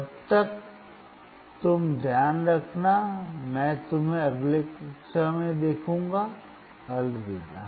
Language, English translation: Hindi, Till then, you take care, I will see you next class, bye